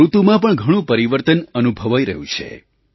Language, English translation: Gujarati, Quite a change is being felt in the weather